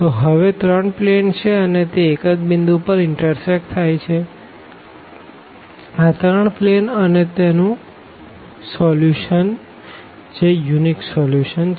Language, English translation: Gujarati, So, there are 3 planes now and they intersect exactly at one point; these 3 planes and that is the solution that unique solution of that system